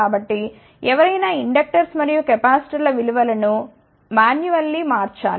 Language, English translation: Telugu, So, somebody has to change the value of inductors and capacitors manually